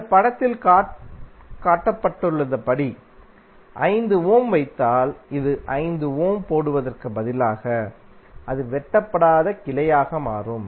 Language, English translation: Tamil, Instead of putting 5 ohm like this if you put 5 ohm as shown in this figure, it will become non cutting branch